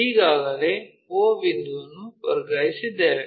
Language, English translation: Kannada, Already o point, we transferred it